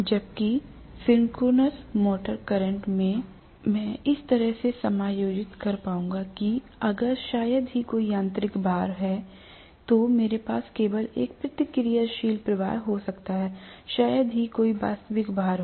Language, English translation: Hindi, Whereas synchronous motor current I would be able to adjust in such a way that, if it is hardly having any mechanical load I may have only a reactive current, hardly having any reactive, real load